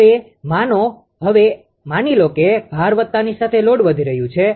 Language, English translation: Gujarati, Now, suppose, now suppose the load has increased suppose load as increased